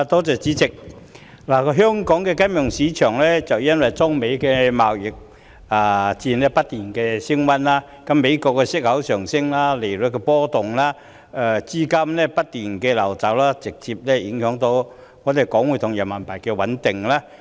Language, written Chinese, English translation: Cantonese, 主席，香港的金融市場因中美貿易戰不斷升溫，美國息口上升、利率波動、資金不斷流走，直接影響港元匯價及人民幣的穩定。, President with regard to the financial market of Hong Kong escalation of the China - US trade war; rising and fluctuating interest rates of the United States; and continuous capital outflows have directly affected the exchange rate of the Hong Kong dollar and the stability of Renminbi